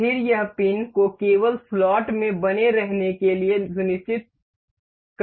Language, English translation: Hindi, Then it will ensure the pin to remain in the slot its only